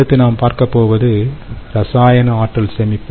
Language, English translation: Tamil, all right, this is chemical energy storage